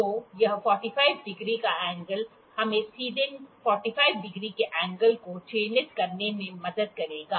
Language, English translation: Hindi, So, this 45 degree angle would help us to mark the 45 degree angle directly